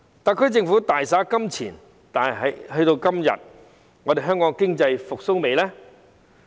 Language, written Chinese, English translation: Cantonese, 特區政府大灑金錢，但直至今天，香港經濟復蘇了嗎？, The SAR Government has spent a lot of money but has the Hong Kong economy revived up to this day?